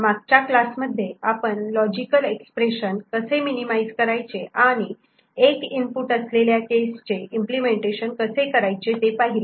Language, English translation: Marathi, In previous classes we have seen how to minimize the logic expression and get a implementation for single input cases